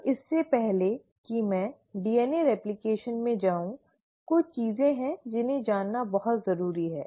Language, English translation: Hindi, So before I get into DNA replication, there are few things which is very important to know